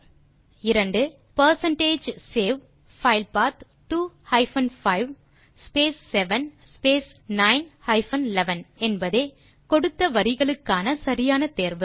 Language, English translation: Tamil, So second question answer is percentage save file path 2 hyphen 5 space 7 space 9 hyphen 11 is the correct option to the specified lines of codes